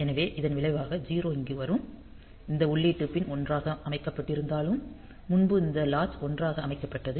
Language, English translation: Tamil, So, as a result that 0 will be coming to here; so, even if this input pin is set to 1; because previously this latch was set to 1